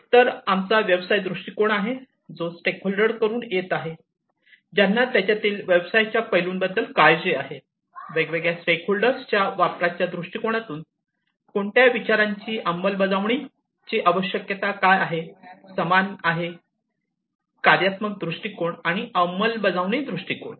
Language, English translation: Marathi, So, we have the business viewpoint which is coming from the stakeholders, who are concerned about the business aspects of it, usage viewpoint from the usage viewpoint of different stakeholders what are the concerns what are the ideas that will need to be implemented, same goes for the functional viewpoint and the implementation viewpoint